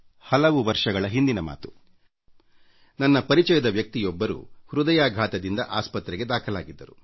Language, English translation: Kannada, Once, many years ago, one of our acquaintances was admitted to a hospital, following a heart attack